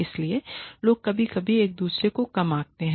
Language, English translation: Hindi, So, people tend to undercut each other sometimes